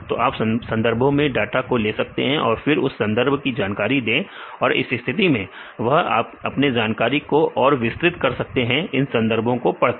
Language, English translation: Hindi, So, you get the data from the literature provide the literature information and this case they can expand the knowledge to read the papers